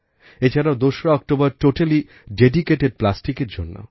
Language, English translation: Bengali, And 2nd October as a day has been totally dedicated to riddance from plastic